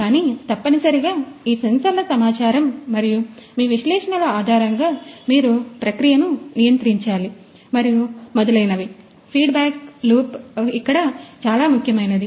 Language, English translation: Telugu, But essentially based on these you know the sensors information and your analysis analytics you have to control the process and so, the feedback loop is very much important over here